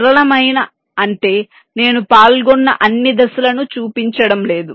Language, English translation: Telugu, simplistic means i am not showing all this steps involved